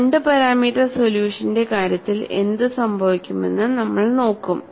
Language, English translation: Malayalam, And we look at what happens in the case of 2 parameters solution